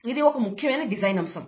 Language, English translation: Telugu, And that is a very important design aspect